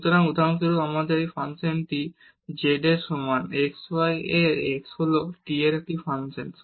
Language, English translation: Bengali, So, for example, we have this function z is equal to xy x is a function of t